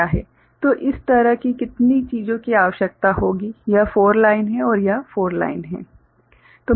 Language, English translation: Hindi, So, how many such things will be required so, this is 4 line and this is 4 line